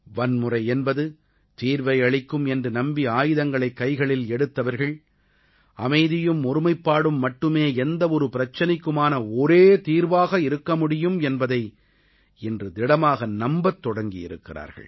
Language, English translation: Tamil, Those who had picked up weapons thinking that violence could solve problems, now firmly believe that the only way to solve any dispute is peace and togetherness